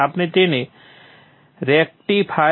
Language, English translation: Gujarati, We can name it as rectifier